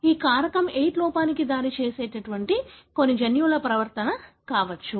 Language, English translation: Telugu, It could be some genetic mutation that results in the deficiency of factor VIII